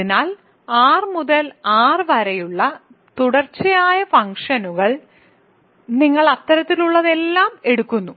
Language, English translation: Malayalam, So, continuous functions from R to R, you take all such things